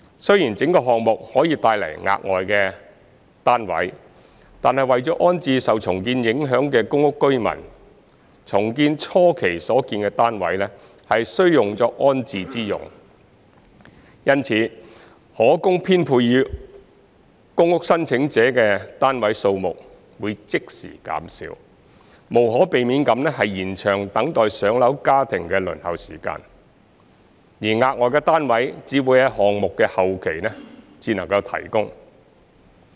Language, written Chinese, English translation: Cantonese, 雖然整個項目可以帶來額外單位，但為了安置受重建影響的公屋居民，重建初期所建的單位需用作安置之用，因此可供編配予公屋申請者的單位數量會即時減少，無可避免地延長等待"上樓"家庭的輪候時間；而額外的單位只會在項目的後期才能提供。, Although the project as a whole may generate additional flats the flats constructed in the initial phase of redevelopment will be used for rehousing the PRH tenants affected by the redevelopment . For this reason the number of flats available for allocation to PRH applicants will be reduced forthwith thus inevitably lengthening the waiting time of families on the PRH waiting list . The additional flats will only be available at a later stage of the project